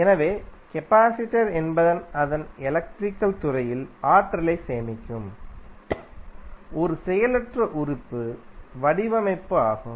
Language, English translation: Tamil, So, capacitor is a passive element design to store energy in its electric field